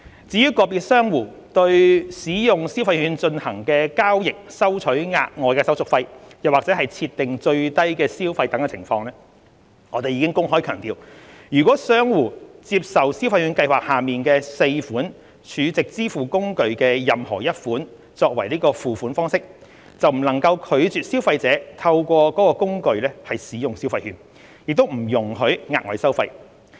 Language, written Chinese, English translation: Cantonese, 至於個別商戶對使用消費券進行的交易收取額外手續費或設定最低消費等情況，我們已公開強調，若商戶接受消費券計劃下的4款儲值支付工具的任何一款作付款方式，便不能拒絕消費者透過該工具使用消費券，亦不容許額外收費。, As for the extra handling fees or minimum spending value imposed by individual merchants on transactions using consumption vouchers we have openly reiterated that if a merchant accepts payment through any of the four SVFs it cannot refuse consumers to use consumption vouchers through the SVF nor impose extra fees